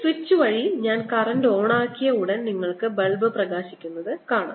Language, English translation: Malayalam, you see, as soon as i turned the current on by this switch, you see that the bulb lights up in a similar manner